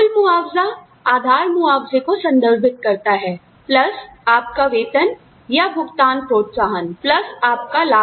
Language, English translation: Hindi, Now, total compensation refers to, the base compensation, plus your salary or pay incentives, plus your benefits